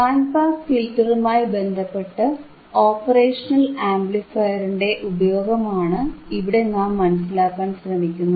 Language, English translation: Malayalam, Here, we want to understand the application of the operational amplifier in terms of band pass filters